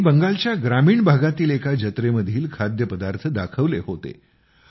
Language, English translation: Marathi, He had showcased the food of rural areas of Bengal during a fair